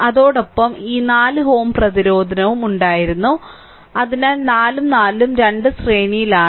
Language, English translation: Malayalam, Along with that this 4 ohm resistance was there, so 4 and 4 both are in series